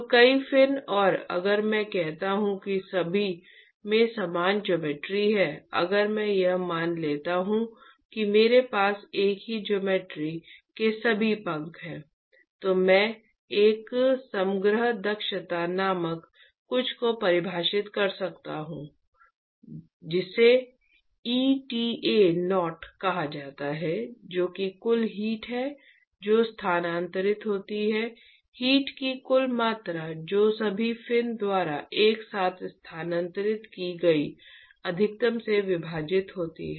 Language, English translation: Hindi, So, many fins and if I say all have same geometry same geometry if I assume that all the fins I have with us of same geometry then I could define something called an overall efficiency the eta0 which is the total heat that is transferred that is the total amount of heat that is transferred divided by the maximum that is transferred by all the fins together